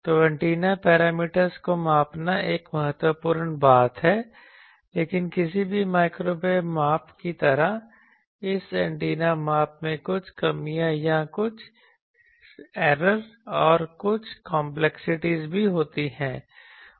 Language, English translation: Hindi, So, measuring antennas parameters is an important thing, but like any microwave measurement this antenna measurement also has certain drawbacks or certain chance of error and certain complexities